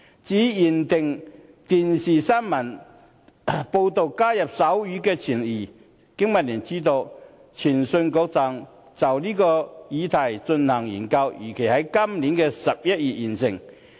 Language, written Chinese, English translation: Cantonese, 至於"規定電視新聞報導須加入手語傳譯"，經民聯知悉，通訊事務管理局正就這議題進行研究，預計在今年11月完成。, As regards requiring the provision of sign language interpretation for television news broadcasts BPA is aware that the Communications Authority is looking into the matter and expects to complete the study this November